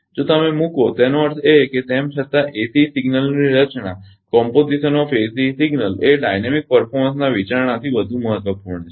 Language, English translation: Gujarati, If you put ; that means, however, the composition of ACE signal is more important from dynamic performance consideration right